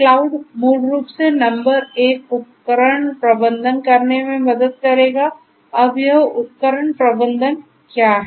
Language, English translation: Hindi, So, cloud basically will help in doing number one device management; device management, now what is this device management